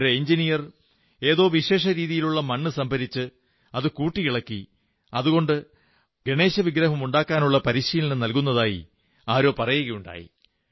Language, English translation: Malayalam, Someone told me about a gentleman who is an engineer and who has collected and combined special varieties of clay, to give training in making Ganesh idols